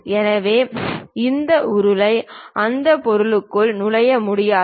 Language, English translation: Tamil, So, this cylinder cannot be entered into that object